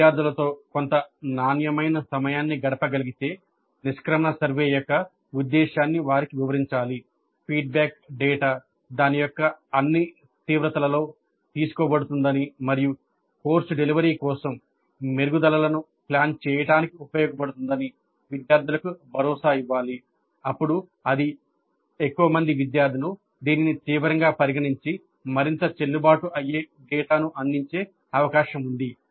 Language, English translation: Telugu, So if the instructor can spend some quality time with the students, explain the purpose of the exit survey, assure the students that the feedback data would be taken in all its seriousness and would be used to plan improvements for the course delivery, then it is more likely that the students would take it seriously and provide more valid data